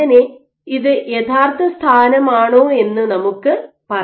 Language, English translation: Malayalam, So, let us say if this for the original positions